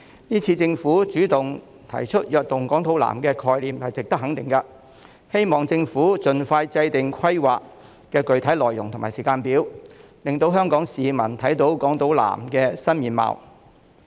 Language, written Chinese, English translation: Cantonese, 這次政府主動提出"躍動港島南"的概念，是值得肯定的，希望政府盡快制訂規劃的具體內容和時間表，令香港市民看到港島南區的新面貌。, This time the Government has taken the initiative to put forward the concept of Invigorating Island South which is worthy of recognition . I hope the Government will draw up expeditiously the specific details and timetable of the plan so that Hong Kong people can see the new face of Island South